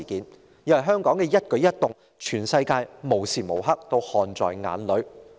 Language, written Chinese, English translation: Cantonese, 因為對於香港的一舉一動，全世界無時無刻也看在眼裏。, The world is watching Hong Kong all the time to see what is happening here